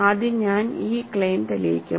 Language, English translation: Malayalam, So, first I will prove this claim